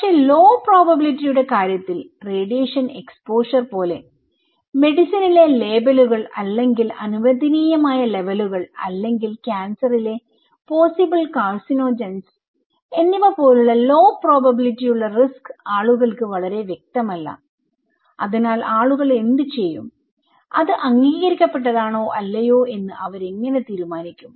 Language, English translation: Malayalam, But in case of low probability okay, like radiation exposure, labels in medicine or permissible level or possible carcinogens in cancer, these kind of low probability event of risk is very unclear to the people so, what people will do the life, how they will consider it as an accepted or not accepted